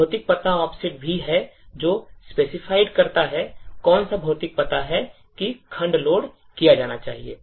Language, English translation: Hindi, There is also physical address offset which specifies, which physical address that the segment should be loaded